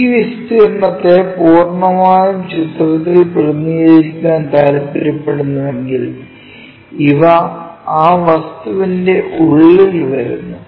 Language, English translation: Malayalam, If, we want to really represent this area one completely in the picture, then these things really comes in the inside of that object